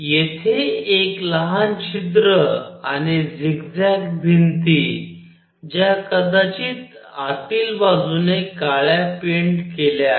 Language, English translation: Marathi, With a small hole here and zigzag wall here maybe painted with black inside